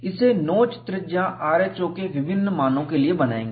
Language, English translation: Hindi, It will be drawn for different values of notch radius rho; this is drawn for 0